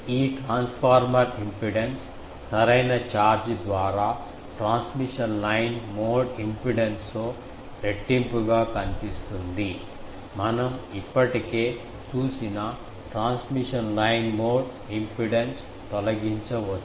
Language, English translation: Telugu, This transformer impedance appears in shunt with twice the transmission line mode impedance by proper charge, we can remove transmission line mode impedance that we have already seen